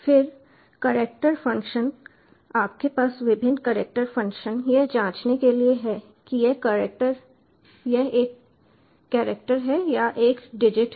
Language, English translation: Hindi, then character function: you have various character functions to check whether it is a character or a digit